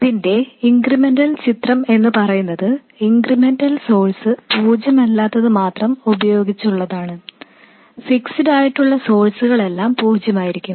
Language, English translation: Malayalam, Then the incremental picture of this which is with only the incremental source being non zero, these sources which are fixed will be zero